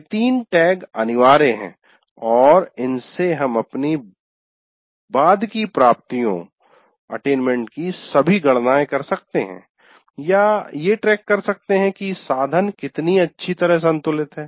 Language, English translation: Hindi, These three tags are compulsory and with that we can do all our subsequent calculation about attainments or keeping track to see the whether the how well the the instrument is balanced and so on